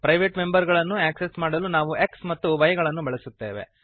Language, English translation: Kannada, To access the private members we use x and y